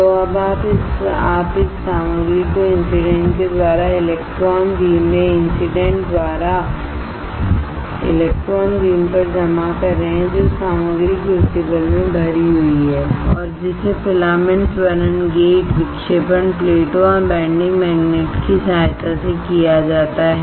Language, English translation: Hindi, So now, you are depositing this material by incident by incident thing the electron beam right by incident in the electron beam on the material which is loaded in the crucible and that is done with the help of filament accelerating gate deflection plates and the bending magnet